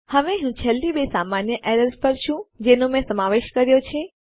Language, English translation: Gujarati, Right now I am onto the last two common errors that I have included